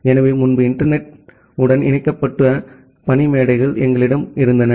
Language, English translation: Tamil, So, earlier we had the desktops which are getting connected to the internet